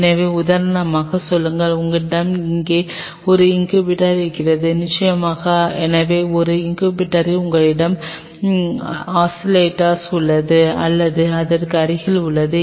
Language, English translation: Tamil, So, have say for example, you have one incubator here right and of course, so, that one incubator you have oscillator or adjacent to it